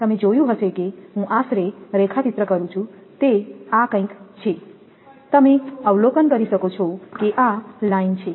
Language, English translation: Gujarati, You might have seen I am roughly sketching it is something like this; you can observe that suppose this is the line